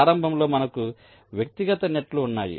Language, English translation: Telugu, so initially we had the individual nets